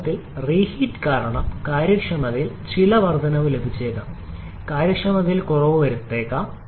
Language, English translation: Malayalam, In fact, because of reheating we may get some increase in the efficiency, we may get some reduction in the efficiency as well